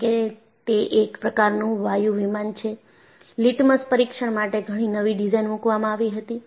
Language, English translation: Gujarati, Because it is a jet liner, several novel designs were put to litmus test